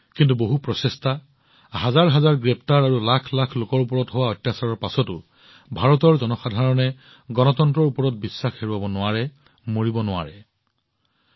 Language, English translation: Assamese, But even after many attempts, thousands of arrests, and atrocities on lakhs of people, the faith of the people of India in democracy did not shake… not at all